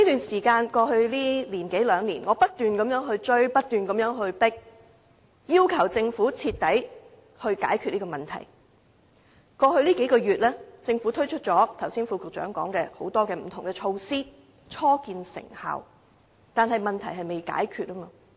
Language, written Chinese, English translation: Cantonese, 在過去一兩年間，我不斷追迫政府要徹底解決問題，而在過去數個月，正如副局長剛才所說，政府已推出多項不同措施，初見成效，但問題仍未被解決。, Over the past one or two years I have kept urging the Government to seek an ultimate solution to this problem . In fact as the Under Secretary said just now the Government has put in place various measures over the past few months and their effect is beginning to be felt . Nevertheless the problem is not yet completely solved